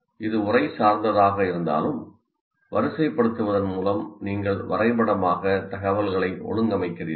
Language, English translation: Tamil, Though this is text, but by just indentation you are graphically organizing the information